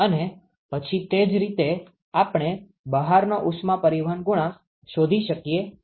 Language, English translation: Gujarati, And then similarly we can find the outside heat transport coefficient